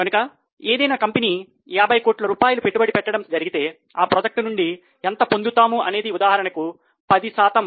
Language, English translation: Telugu, So, if company wants to invest 50 crore in some project, it must know how much return it is likely to get